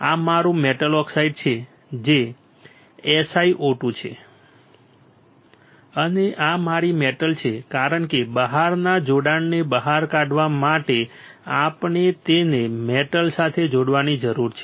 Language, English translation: Gujarati, This is my metal oxide which is SiO2 and this is my metal because we need to connect it to metal to take out the external connection